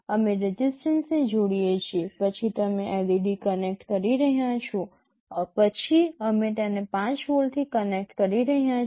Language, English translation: Gujarati, We are connecting a resistance, then you are connecting a LED, then we are connecting it to 5 volts